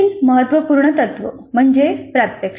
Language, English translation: Marathi, The next important principle is demonstration